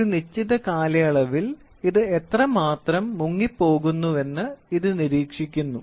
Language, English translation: Malayalam, It only monitors how much it is getting sunk over a period of time